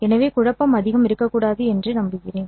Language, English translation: Tamil, So hopefully there should not be much of a confusion